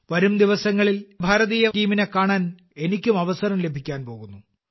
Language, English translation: Malayalam, In the coming days, I will also get an opportunity to meet the Indian team